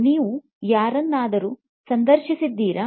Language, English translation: Kannada, Have you interviewed anyone